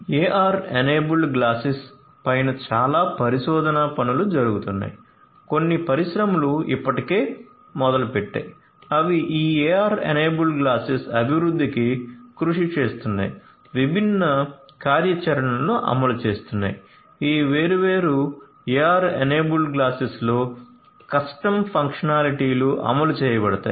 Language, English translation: Telugu, So, AR enabled glasses you know lot of research work is going on some industries are already in this space they are working on development of these AR enabled glasses, implementing different different functionalities, custom functionalities are implemented in these different different AR enabled glasses